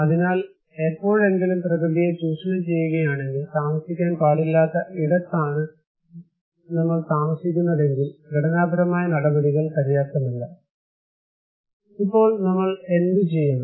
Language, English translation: Malayalam, So, if you are ever exploiting the nature, if you are exploit, if you are living where you should not live, then structural measures is not enough